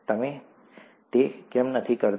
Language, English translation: Gujarati, Why don’t you do that